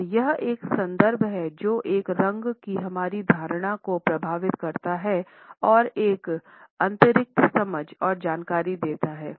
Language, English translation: Hindi, And it is a context which affects our perception of a color and gives an additional understanding and information